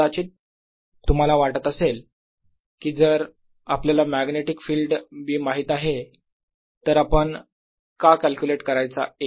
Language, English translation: Marathi, off course, you maybe be wondering: if we know the magnetic field b, why are we calculating a then